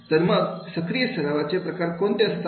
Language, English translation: Marathi, What type of active practice is there